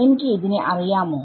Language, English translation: Malayalam, Do I know this guy